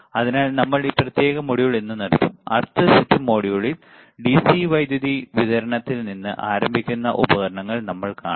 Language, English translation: Malayalam, So, we will stop the this particular module, right; Over here because in next set of modules, we want to see the equipment starting from the DC power supply